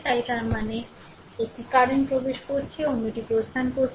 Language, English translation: Bengali, So; that means, one current is entering other are leaving